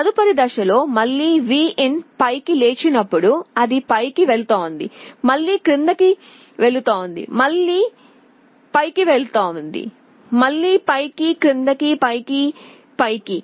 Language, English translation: Telugu, Next step it is seen that again Vin is up again it will go up, again it will go down, again it will go up, again up, down, up, up